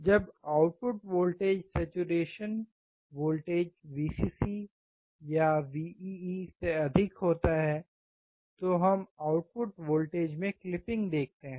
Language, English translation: Hindi, When the output voltage is greater than the saturation voltage , we observe clipping of output voltage